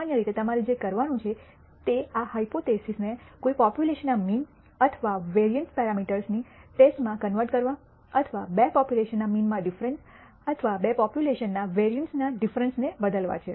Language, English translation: Gujarati, Typically what you have to do is to convert this hypothesis into a test for the mean or variance parameter of a population or perhaps a difference in the means of two populations or the di erence of vari ances of the two population